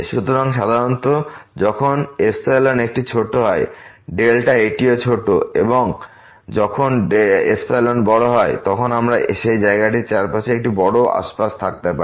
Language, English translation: Bengali, So, usually when the epsilon is a small, the delta is also small and when the epsilon is big, we can have a big neighborhood around that point